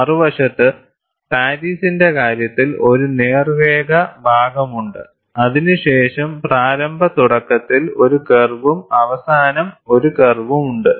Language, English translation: Malayalam, On the other hand, in the case of Paris, there is a straight line portion followed by one curve at the initial start and one curve at the end